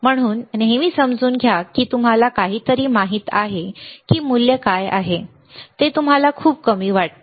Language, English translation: Marathi, So, always understand even you know something what is the value you see value is extremely low